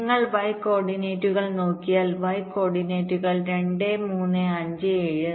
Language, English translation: Malayalam, and if you look at the y coordinates, similarly, look at the y coordinates: two, three, five, seven